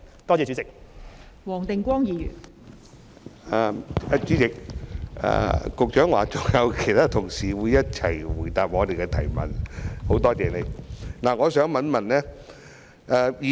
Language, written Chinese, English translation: Cantonese, 代理主席，局長說會與他的同事一起回答議員的補充質詢，我表示感謝。, Deputy President I am grateful that the Secretary and his colleague stand ready to answer Members supplementary questions